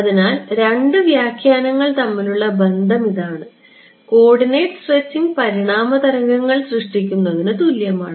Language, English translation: Malayalam, So, this is the connection between the two interpretations that coordinate stretching is the same as generating evanescent waves ok